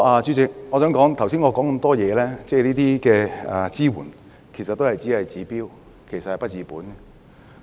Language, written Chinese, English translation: Cantonese, 主席，我剛才提到的支援其實只是治標而不治本。, President the support mentioned by me just now can only treat the symptoms but not the root cause of the problem